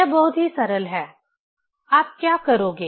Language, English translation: Hindi, It is very simple; what you will do